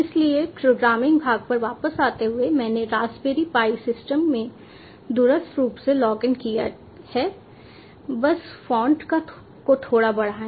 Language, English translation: Hindi, so, coming back to the programming part, i have remotely logged into the raspberry pi system